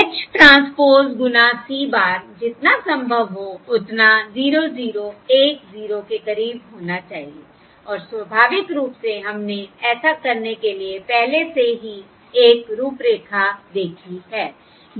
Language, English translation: Hindi, H transpose times C bar should be as close as possible to 0 0, 1, 0 and naturally, we have already seen a framework to this